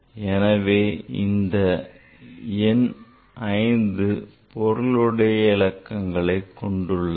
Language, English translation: Tamil, So, for this number the it has 5 significant figures